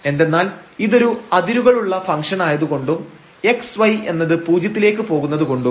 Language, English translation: Malayalam, Because the function is defined as the value is 0 when x y not equal to 0